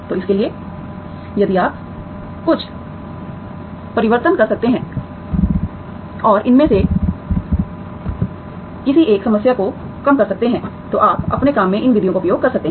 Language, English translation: Hindi, So for this if you, if you can do some transformation and reduced to one of these problems, you can make use of these methods in your in your work